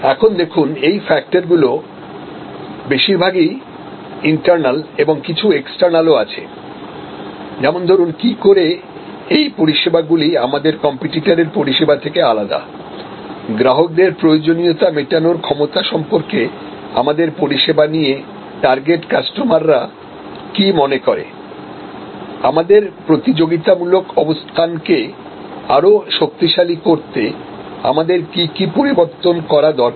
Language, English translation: Bengali, So, these you see are more internal factors and here there are some external factors, that how does each of our service products differ from our competitors, how well do our target customers perceive our service as meeting their needs and what change must we make to strengthen our competitive position